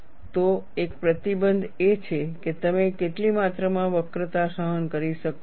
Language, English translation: Gujarati, So, one of the restrictions is, what amount of curvature can you tolerate